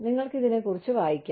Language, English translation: Malayalam, And, you can read up on this